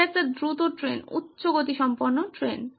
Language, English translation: Bengali, It is a fast train, high speed train